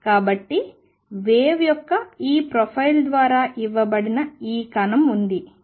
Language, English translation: Telugu, So, there was this particle which is being given by this profile of wave